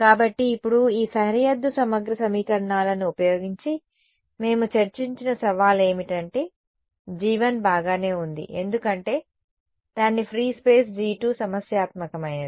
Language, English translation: Telugu, So, now, the challenge that we have discussed using these boundary integral equations is that g 1 is fine because its free space g 2 is the problematic guy right